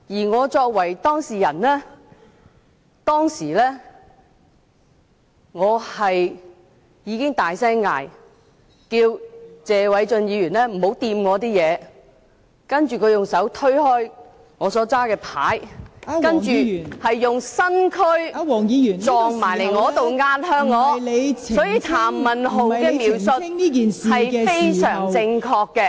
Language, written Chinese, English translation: Cantonese, 我作為當事人，當時已大聲喝止謝偉俊議員別碰我的物件，而他則用手推開我手持的紙牌，並用身軀撞向我、壓向我，所以譚文豪議員的描述是非常正確的......, As an involved party I shouted at Mr Paul TSE at the time to stop him from touching my object while he pushed away by hand the placard that I was holding and bumped and pressed against me with his body so the description made by Mr Jeremy TAM was very accurate